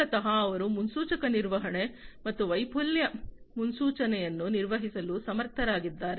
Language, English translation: Kannada, So, basically they are able to perform predictive maintenance and failure forecasting